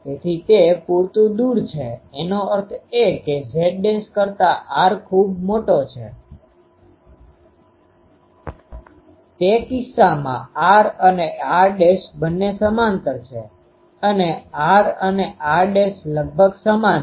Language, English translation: Gujarati, So, that is sufficiently away; that means, r is much greater than ah z dash, in that case the r and r dashed both are parallel and r and r dashed are almost same